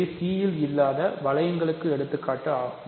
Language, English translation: Tamil, So, these are examples of rings that are not sub rings of C ok